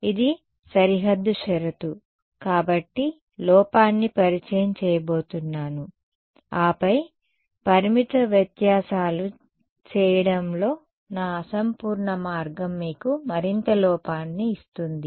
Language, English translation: Telugu, As it is this is the boundary condition going to introduce the error then on top of my imperfect way of doing finite differences will give you further error